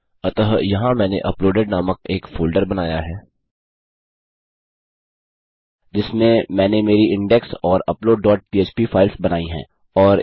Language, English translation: Hindi, So here Ive created a folder named uploaded in which Ive created my index and upload dot php files